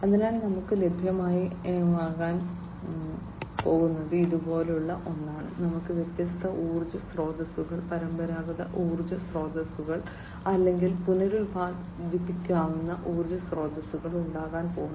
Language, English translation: Malayalam, So, what we are going to have is something like this, we are going to have different energy sources, traditional energy sources, or the renewable energy sources